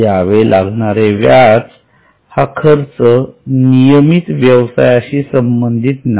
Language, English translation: Marathi, Because interest is not a regular expense related to the business